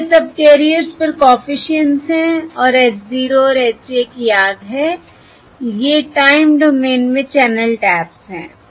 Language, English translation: Hindi, yeah, So these are the coefficients on subcarriers and h 0 and h 1 remember, these are the channel taps in the time domain